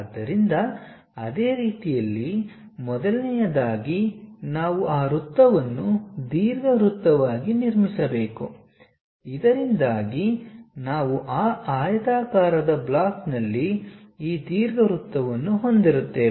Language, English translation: Kannada, So, in the similar way first of all we have to construct that circle into ellipse so that, we will be having this ellipse on that rectangular block